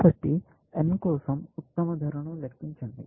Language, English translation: Telugu, So, compute the best cost for n